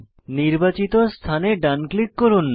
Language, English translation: Bengali, Right click on the selection